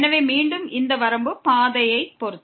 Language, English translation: Tamil, So, again this limit is depending on the path